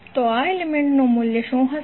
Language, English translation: Gujarati, So what would be the value of this element